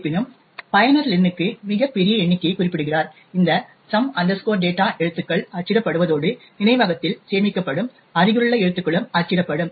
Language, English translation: Tamil, However, the user specifies a very large number for len than these some data characters would get printed as well as the adjacent characters stored in the memory would also get printed